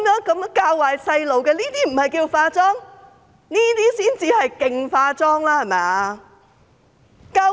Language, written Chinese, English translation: Cantonese, 這些教壞小朋友的話，不是"化妝"嗎？, Are these remarks which have a bad influence on children not a cover - up?